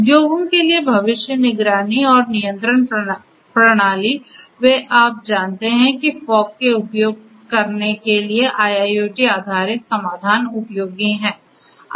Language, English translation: Hindi, Futuristic monitoring and control systems for industries, they are also you know IIoT based solutions using fog are useful